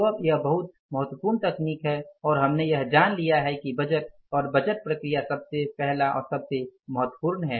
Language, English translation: Hindi, So, now it is very, very important technique, very useful technique and we have learned it that the budgeting and the budgetary process is the first and the foremost